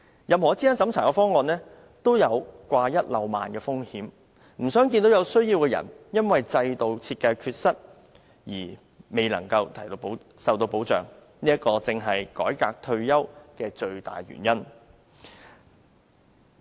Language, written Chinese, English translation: Cantonese, 任何資產審查的方案都有掛一漏萬的風險，不想看到有需要的人因為制度設計的缺失而未能受到保障，這正是改革退休保障的最大原因。, Any proposal with a means test risks omission and the aim of a retirement protection reform is precisely to prevent anyone from being omitted due to any shortcoming of the system design